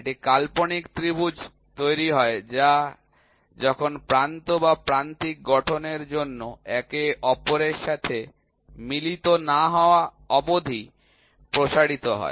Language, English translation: Bengali, So, it is the imaginary triangle that is formed when the flank are extended till they meet each other to form an apex or vertex